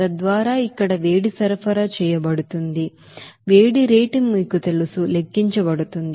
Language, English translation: Telugu, So that heat will be supplied here so that heat rate to be you know, calculated